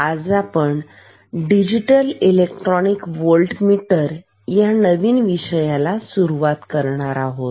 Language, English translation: Marathi, Today, we are going to start a new topic, which is Digital Electronic Voltmeter